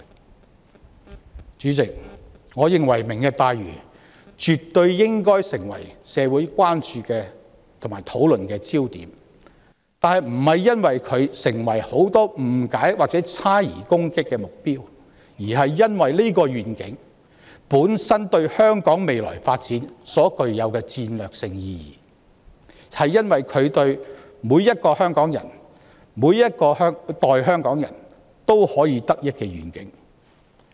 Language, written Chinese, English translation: Cantonese, 代理主席，我認為"明日大嶼願景"絕對應該成為社會關注和討論的焦點，但原因並非是很多市民對其有誤解和猜疑並作出批評和攻擊，而是因為這個願景本身對香港未來發展具有戰略性意義，而每一個香港人、每一代香港人都可以受惠。, Deputy President I consider that the Lantau Tomorrow Vision should absolutely become the focus of attention and discussion in society not because many people have misunderstandings and doubts about it and so have made criticisms and attacks of it but because the Vision carries strategic value for the future development of Hong Kong to the benefit of every Hongkonger and every generation of Hongkongers